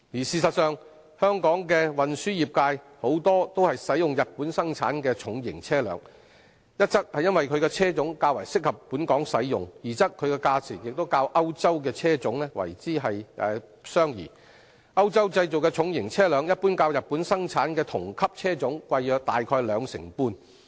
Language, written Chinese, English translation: Cantonese, 事實上，本港的運輸業界多使用日本生產的重型車輛，一則因其車種較適合本港使用，二則其價錢亦較歐洲車種相宜，歐洲製造的重型車輛一般較日本生產的同級車種貴約兩成半。, In fact heavy duty vehicles produced in Japan are more commonly used by the local transport trades . One reason is that its models are more suitable for use in Hong Kong and the other is that the prices are more affordable than that of their European counterparts . Generally the prices of heavy duty vehicles manufactured in Europe are about 25 % higher than that of Japanese models of the same class